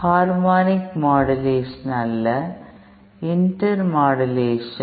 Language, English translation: Tamil, Not harmonic modulation, intermodulation